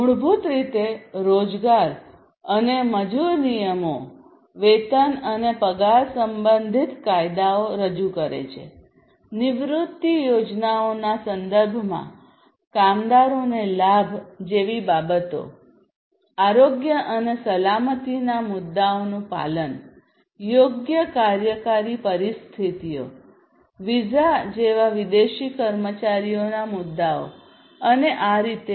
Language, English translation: Gujarati, So, basically the employment and labor rules represent laws concerning wages and salaries, things such as benefits to the workers in terms of retirement plans, compliance with health and safety issues, proper working conditions, issues of expatriate employees such as visas and so on